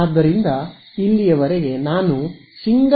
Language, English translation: Kannada, So, so far this is what I had in the single antenna case now right